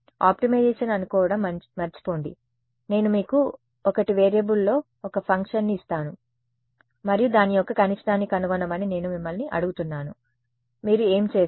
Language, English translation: Telugu, Forget optimization supposing, I give you a function in 1 variable and I ask you find the minima of it what will you do